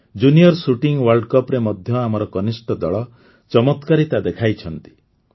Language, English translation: Odia, Our junior team also did wonders in the Junior Shooting World Cup